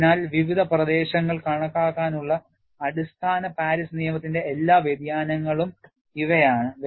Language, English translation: Malayalam, So, these are all the variations of basic Paris law, to account for different regions